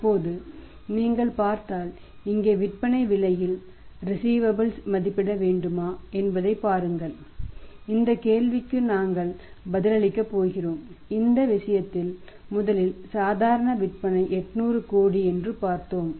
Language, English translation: Tamil, If you see now look at that whether to value receivable at the cost of the selling price here we are going to answer this question and in this case first of all we saw that normal sale is 800 crores